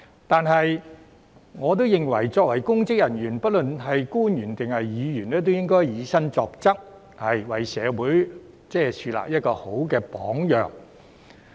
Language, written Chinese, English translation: Cantonese, 但是，我亦認為作為公職人員，不論是官員或議員，均應以身作則，為社會樹立好榜樣。, However I also think that public officers be they government officials or Legislative Council Members should set good examples with their deeds for the community